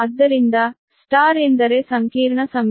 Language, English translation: Kannada, so star means that complex conjugate